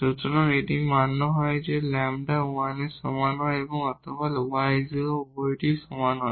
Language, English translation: Bengali, So, this is satisfied when lambda is equal to 1 or this y is equal to 0 or both